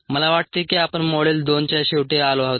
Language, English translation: Marathi, i think we have come to the end of a module two